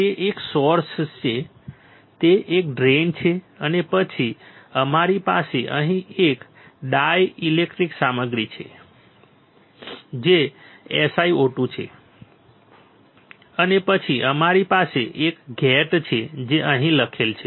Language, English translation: Gujarati, It is a source it is a drain right and then we have here a dielectric material which is SiO2, written over here and then we have a gate